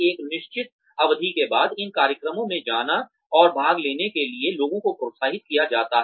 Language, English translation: Hindi, People are encouraged, to go and participate, in these programs, after a certain duration of time